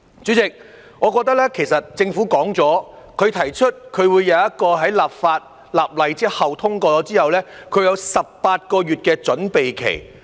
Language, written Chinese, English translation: Cantonese, 主席，其實政府已提出，在立法後或《條例草案》通過後，將有18個月的準備期。, President in fact the Government has proposed the introduction of an 18 - month preparatory period upon the enactment or passage of the Bill